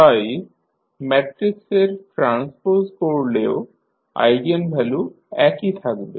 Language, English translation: Bengali, So, if you take the transpose of the matrix the eigenvalues will remain same